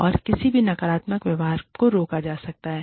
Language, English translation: Hindi, And, any further negative behavior, can be prevented